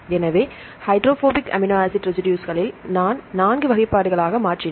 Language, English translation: Tamil, So, in the hydrophobic amino acid residues, I made into 4 classifications